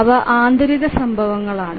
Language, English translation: Malayalam, So those are the internal events